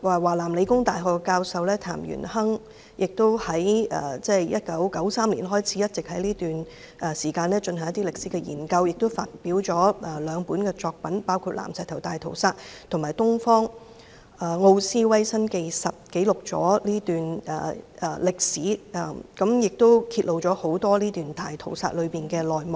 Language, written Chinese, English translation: Cantonese, 華南理工大學教授譚元亨從1993年開始一直進行歷史研究，亦發表了兩部作品，包括《南石頭大屠殺》及《東方奧斯維辛》，記錄了這段歷史，亦揭露了大屠殺的內幕。, TAN Yuanheng a professor at the South China University of Technology has conducted historical research since 1993 and two books written by him including The Nanshitou Massacre and Auschwitz of the East were published . They recorded this period of history and revealed the inside stories of the Massacre